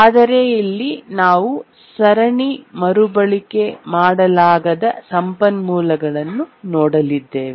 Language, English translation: Kannada, But then now we are going to look at resources which are not serially reusable